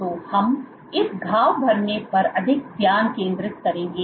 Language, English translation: Hindi, So, we will focus more on this wound healing